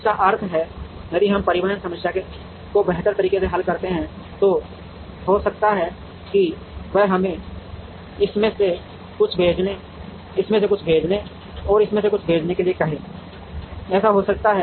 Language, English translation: Hindi, Which means, if we solve the transportation problem optimally, it might ask us to send something from this, to send something from this and to send something from this, it may happen